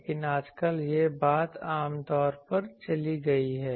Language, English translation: Hindi, But nowadays this thing has gone generally